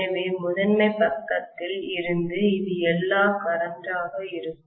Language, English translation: Tamil, So from the primary side this is all will be the current